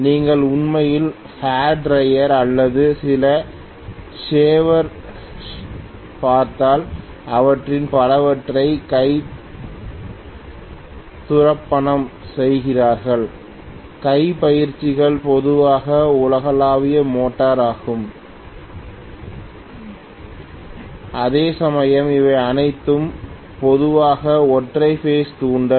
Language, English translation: Tamil, If you look at actually hair dryer or some of the shavers and so on, hand drills many of them, hand drills generally are universal motor, whereas these are all generally single phase induction